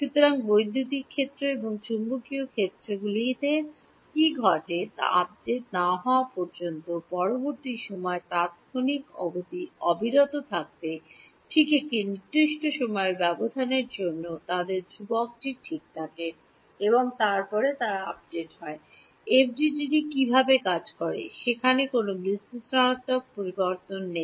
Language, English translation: Bengali, So, until the next time instant until a next time update what happens to the electric fields and magnetic fields they remain constant right for a given time interval their constant and then they get updated, that is how FDTD works there is no analytical evolution